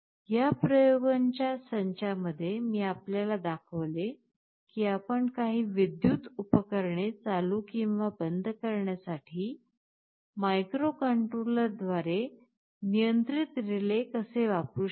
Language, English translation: Marathi, In this set of experiments I showed you how we can use a relay controlled by a microcontroller to switch ON or OFF some electrical appliance